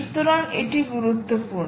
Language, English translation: Bengali, so thats important